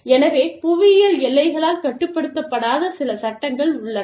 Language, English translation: Tamil, So, there are some laws, that are not restricted by geographical boundaries